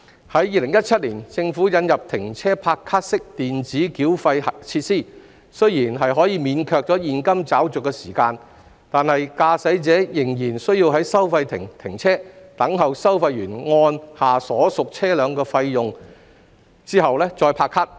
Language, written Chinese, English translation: Cantonese, 在2017年，政府引入"停車拍卡"式電子繳費設施，雖然可免卻現金找續的時間，但駕駛者仍然需要在收費亭停車，等候收費員按下所屬車輛的費用後再拍卡。, While the stop - and - go e - payment facilities introduced by the Government in 2017 can save the time required for cash - changing motorists still need to stop their vehicles at toll booths for the toll collectors to select the applicable toll rates before they can tap their cards for payment